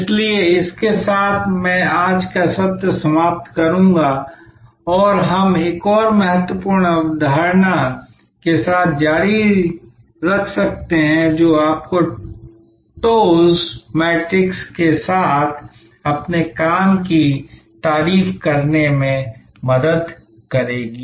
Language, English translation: Hindi, So, with this I will end today's session and we can continue with another important concept, which will help you to compliment your work with the TOWS matrix